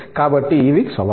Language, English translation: Telugu, So, these are the challenges